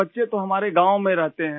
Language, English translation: Hindi, My children stay in the village